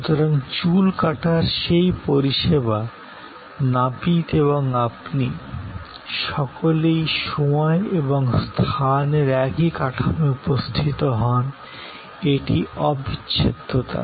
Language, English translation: Bengali, So, that service of haircut, the barber and you, all present in the same frame of time and space, this is the inseparability